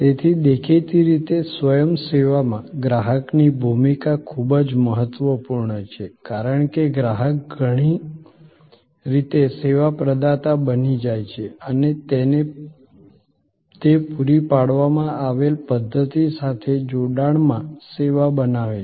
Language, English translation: Gujarati, So, obviously in self service, the role of the customer is very critical, because customer becomes in many ways the service provider and he creates or she creates the service in conjunction with the system provided